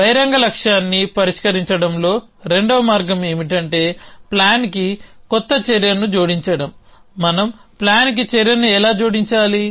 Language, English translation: Telugu, That the second way of in solving the open goal which is to add an new action to the plan how do we add an action to the plan